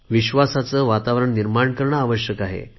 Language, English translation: Marathi, It is important to build an atmosphere of trust